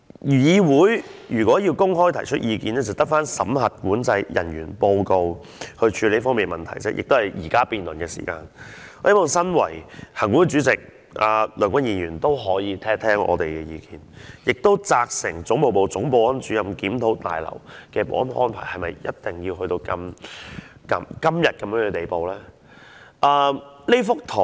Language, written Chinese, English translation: Cantonese, 議員如果想公開提出意見，便只有透過審核管制人員報告來處理這方面的問題，亦是透過現時辯論的時間提出；而行管會主席梁君彥議員也可以聽聽我們的意見，責成總務部總保安主任，檢討大樓的保安安排是否一定要做到今天的地步。, If a Member wants to air his views openly to deal with the matter he can only do so through the Controlling Officers Report or through this time of debate . Mr Andrew LEUNG Chairman of the Legislative Council Commission can also listen to our views and instruct the Chief Security Officer of the Administration Division to have a review on the security arrangement of the Complex to see whether it has to be of the present scale